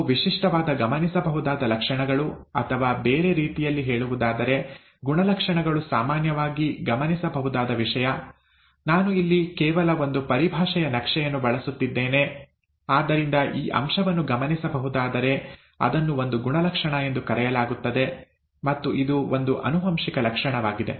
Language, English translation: Kannada, Those are, those are typical those are typical observable traits, or in other words, the characters usually an observable thing, I am just using a terminology mapping here, so this aspect, if it can be observed, it is called a character, and it is a heritable feature